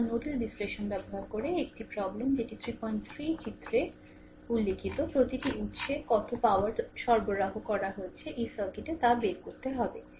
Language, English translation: Bengali, 3 using nodal analysis, find the power delivered by each source in the circuits shown in figure your 33